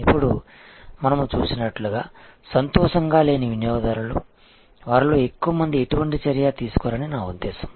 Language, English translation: Telugu, Now, unhappy customers as we saw, I mean in a large majority of them take no action